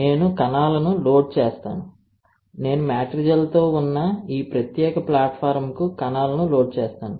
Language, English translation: Telugu, I will load the cells; I load the cells on to this particular platform with matrigel